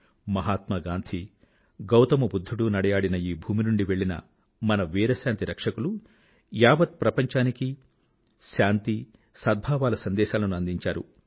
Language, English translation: Telugu, The brave peacekeepers from this land of Mahatma Gandhi and Gautam Budha have sent a message of peace and amity around the world